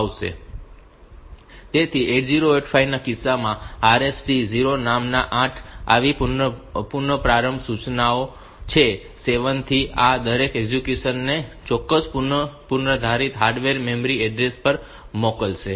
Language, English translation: Gujarati, So, there are 8 such instructions named RST 0, through 7 and each of this would send the execution to a particular predetermined hardware memory address